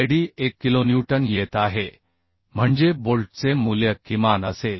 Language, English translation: Marathi, 78 kilonewton So in this case bolt value will become 52